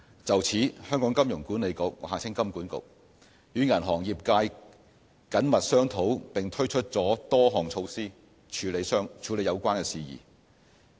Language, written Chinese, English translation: Cantonese, 就此，香港金融管理局與銀行業界緊密商討並推出了多項措施處理有關事宜。, HKMA has been working closely with the banking industry and has taken various measures to address the issue